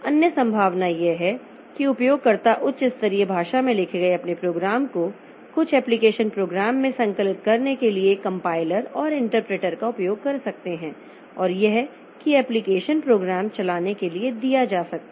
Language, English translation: Hindi, Other possibility is that the users can use the compilers and interpreters to compile their program written in high level language to some application program and that application program may be given for running